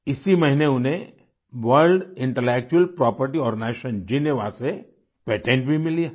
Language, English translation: Hindi, This month itself he has received patent from World Intellectual Property Organization, Geneva